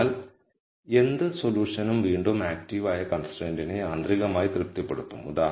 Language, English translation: Malayalam, So, whatever solution again will automatically satisfy the active constraint